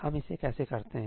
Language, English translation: Hindi, How do we do this